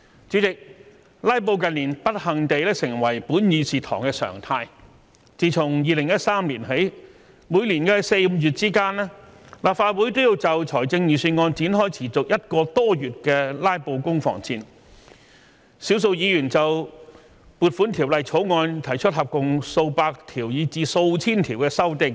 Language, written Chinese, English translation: Cantonese, 主席，"拉布"近年不幸地成為本議事堂的常態，自從2013年起，每年4月、5月之間，立法會均要就財政預算案展開持續1個多月的"拉布"攻防戰，少數議員就《撥款條例草案》提出合共數百項以至數千項的修正案。, President it is unfortunate that in recent years filibustering has become the new normal of this Chamber . Since 2013 between April and May each year the Legislative Council would be engaged in the month - long war of filibustering in relation to the Budget when a small number of Members would propose a total of a few hundred to a few thousand of amendments to the Appropriation Bill